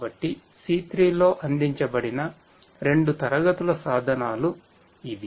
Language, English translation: Telugu, So, these are the two classes of tools that have been provided in C3